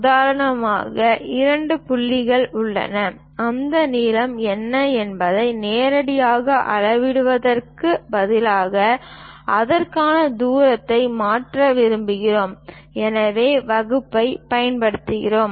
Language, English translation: Tamil, For example, there are two points; instead of directly measuring what is that length, we would like to transfer the distance between that, so we use divider